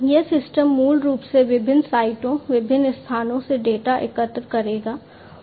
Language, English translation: Hindi, So, these systems basically would collect the data from different sites, different locations